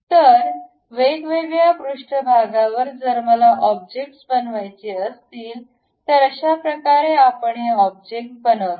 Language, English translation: Marathi, So, on different surfaces if I would like to really construct objects, this is the way we construct these objects